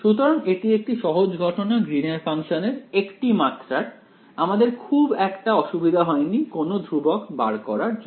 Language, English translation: Bengali, So, this was the sort of simple case of one dimensional Green’s function; we did not have much trouble in finding out any of the constants involved